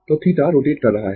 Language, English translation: Hindi, So, theta is rotating